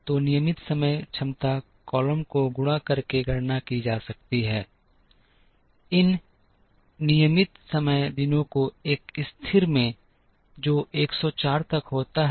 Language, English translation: Hindi, So, the regular time capacity column can be calculated by multiplying, these regular time days into a constant, which happens to be 104